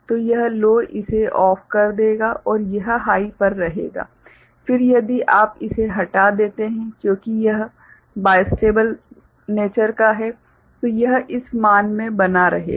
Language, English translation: Hindi, So, this low will make this OFF right and it will remain at high, then if you remove it because of it is bistable nature it will continue to remain in this value